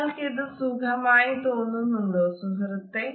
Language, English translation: Malayalam, Does this feel comfortable to you dear